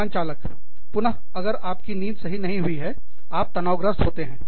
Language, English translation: Hindi, Pilots, again, you know, if you do not sleep properly, you are stressed out